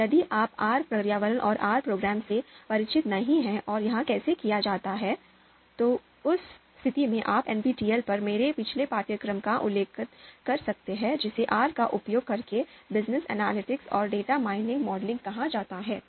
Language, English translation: Hindi, Now if you are not familiar with the R environment and R programming and how it is done, so you can refer my previous course on NPTEL it is called Business Analytics and Data Mining Modeling using R, so this particular course you can refer